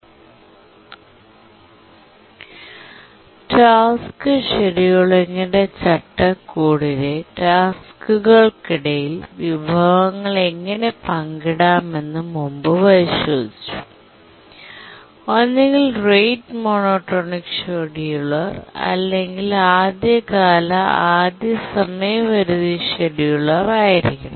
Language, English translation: Malayalam, In the last lecture, we are looking at how resources can be shared among tasks in the framework of tasks scheduling may be a rate monotonic scheduler or an earliest deadline first scheduler